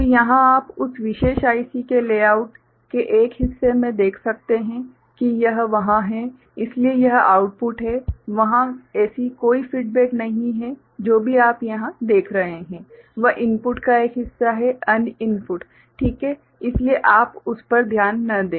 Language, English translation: Hindi, So, here one you can see in a part of the layout of that particular IC that this is there ok, so this is the output there is no such feedback this is whatever you see here is a part of input another input ok, so you ignore that